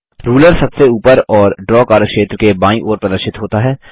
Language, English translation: Hindi, The Ruler is displayed on the top and on the left side of the Draw workspace